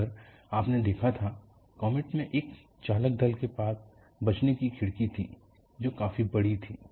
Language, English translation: Hindi, Now, if you had looked at, in the comet, you had a crew escape window which was quite large